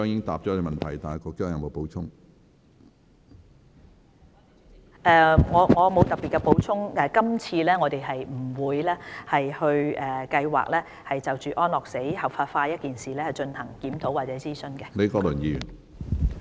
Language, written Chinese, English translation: Cantonese, 我沒有特別的補充，我們並無計劃在今次的諮詢工作中，就安樂死合法化一事進行檢討或諮詢。, I do not have anything particular to add . We do not plan to carry out a review or consultation on the legalization of euthanasia in this consultation exercise